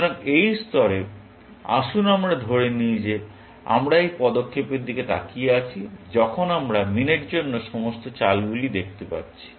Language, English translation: Bengali, So, at this level, let us assume that we are looking at this move for, when we are going look at all the moves for min